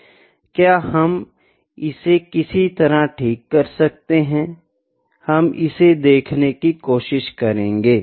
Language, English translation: Hindi, Could we correct that somehow; we will try to see that